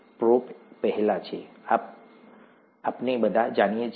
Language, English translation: Gujarati, Pro is before, this we all know